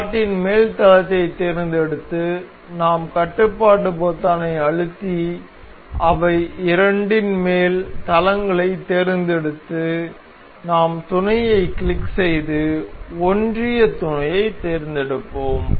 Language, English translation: Tamil, And if we select the top plane of the slot and we control select the top planes of both of them and we will click on mate and select coincident mate ok